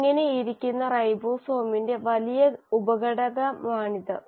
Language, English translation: Malayalam, So this is the large subunit of the ribosome which is sitting